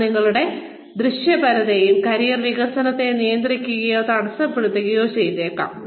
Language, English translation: Malayalam, That might restrict or impede, your visibility and career development